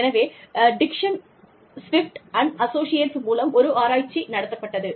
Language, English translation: Tamil, So, there was a research conducted by, Dixon Swift & Associates